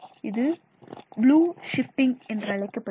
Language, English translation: Tamil, This is called blue shifting